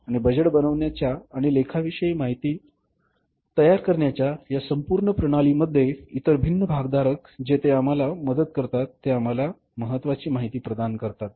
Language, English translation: Marathi, And in this entire system of the budgeting and creating the accounting information here the other different stakeholders they help us, they provide us that in important information